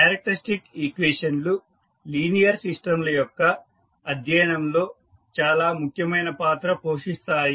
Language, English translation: Telugu, So, the characteristic equations play an important role in the study of linear systems